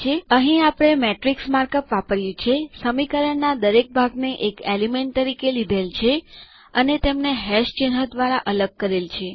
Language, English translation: Gujarati, Here, we have used the matrix mark up, treated each part of the equation as an element and separated them by # symbols